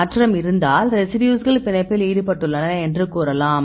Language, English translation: Tamil, If there is a change then you can say that these residues are involved in binding